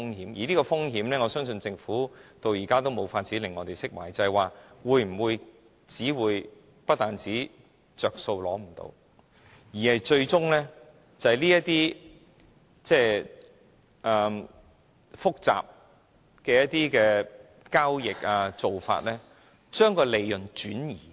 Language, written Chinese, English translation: Cantonese, 對於這風險，我相信政府至今也無法令我們釋懷，因為很可能會令大家無法從中得益，最終更會因着複雜的交易或做法而將利潤轉移。, Regarding such risks the Government is still unable to give us relief . In the end it may probably result in a situation where none of us will gain any benefit yet those companies are given chances to shift their profits to somewhere else by means of some very complicated transactions or practices